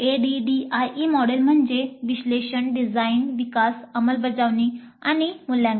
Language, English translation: Marathi, ADE stands for analysis, design, development, implement and evaluate